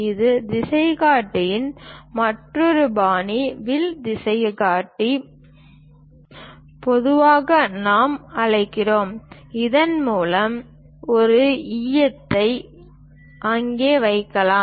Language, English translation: Tamil, And this is other style of compass, bow compass usually we call through which a lead can be kept there